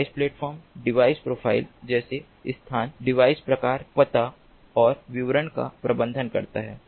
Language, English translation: Hindi, the device platform manages the device profiles, such as location, device type, address and description